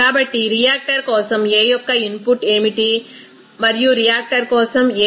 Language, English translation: Telugu, So, for the reactor what is the input of A and for the reactor what will be the output of A